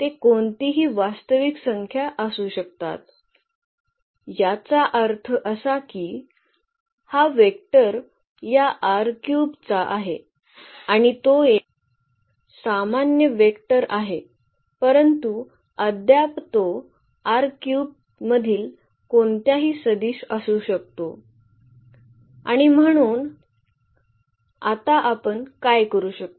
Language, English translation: Marathi, They can be any real number meaning that this vector belongs to this R 3 and it’s a general vector yet can it can be any vector from this R 3 and what we will, what we are supposed to do now